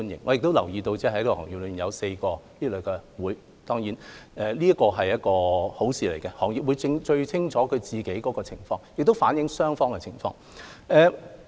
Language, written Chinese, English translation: Cantonese, 我亦留意到這個行業中有4個這類商會，當然，這是一件好事，行業會最清楚自己的情況，亦能反映雙方的情況。, I notice that four trade associations have been established within the industry . Of course this is desirable as the trade understands its situation the best and their proposals can reflect the positions of both parties